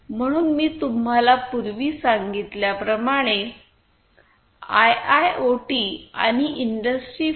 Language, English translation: Marathi, So, interconnection as I told you earlier is a very important component of IIoT and Industry 4